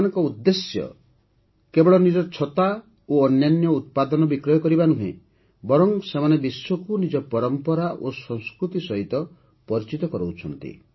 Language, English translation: Odia, Their aim is not only to sell their umbrellas and other products, but they are also introducing their tradition, their culture to the world